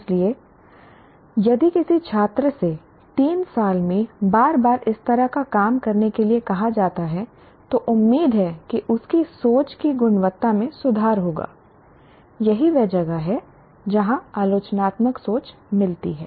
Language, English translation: Hindi, So if a student is asked to do this kind of thing repeatedly over three years through in different subjects, hopefully the quality of his thinking will improve